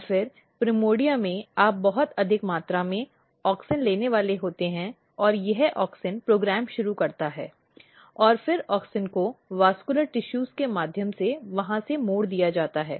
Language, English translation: Hindi, And then in the primordia you are going to have a very high amount of auxin and this auxin initiate the program and then auxin has been diverted from there through the vascular tissues